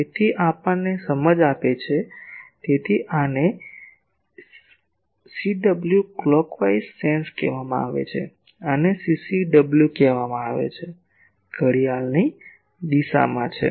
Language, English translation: Gujarati, So, this gives us the sense; so this one is called CW clockwise sense; this is called CCW; counter clockwise sense